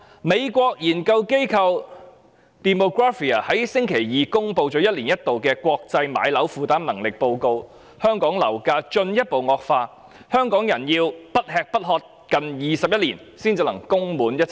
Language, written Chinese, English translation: Cantonese, 美國研究機構 Demographia 在星期二公布一年一度的國際樓價負擔能力報告，指出香港樓價進一步惡化，香港人要不吃不喝近21年才可以供滿一層樓。, According to the annual International Housing Affordability Survey released by the United States research institute Demographia on Tuesday Hong Kongs property prices have spiralled further . Hong Kong people have to go without food for nearly 21 years to pay off the mortgage for a flat